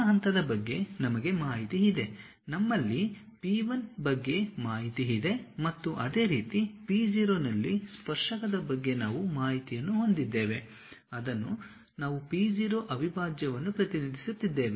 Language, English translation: Kannada, We have information about that point, we have information about p 1 and similarly we have information about the tangent at p0, which we are representing p0 prime